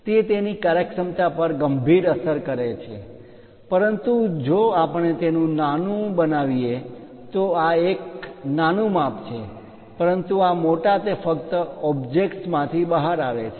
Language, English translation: Gujarati, It may severely affect the functionality of that, but in case if we are going to make it a smaller one this this is small size, but this one large it just comes out of that object